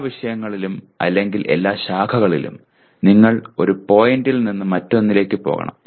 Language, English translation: Malayalam, In every subject or every branch you have to go from one point to the other